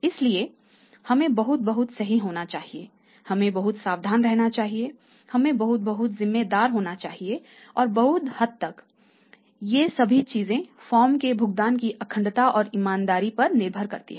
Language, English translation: Hindi, So, we have to be very, very perfect we have to a very, very careful food we have to be very, very responsible and all these things to a large extent depend upon the integrity and honesty of the paying for firm